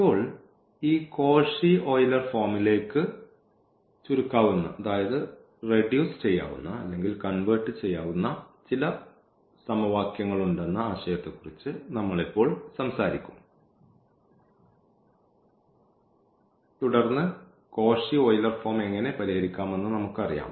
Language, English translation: Malayalam, Now, here we will be talking about the idea that there are some equations which can be reduced to this Cauchy Euler form and then we know how to solve the Cauchy Euler form